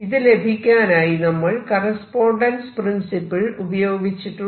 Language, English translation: Malayalam, So, this is where I am using the correspondence principle